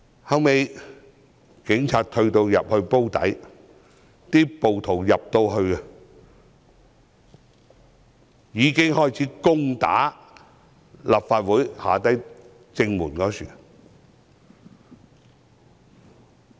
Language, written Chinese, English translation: Cantonese, 後來，警察退到"煲底"，暴徒開始攻打立法會正門。, Subsequently when the Police retreated to the Drum area the rioters started charging the front entrance to the Complex